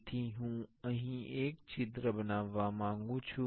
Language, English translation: Gujarati, So, I will make the I want to make a hole here